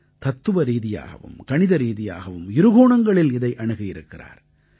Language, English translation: Tamil, And he has explained it both from a philosophical as well as a mathematical standpoint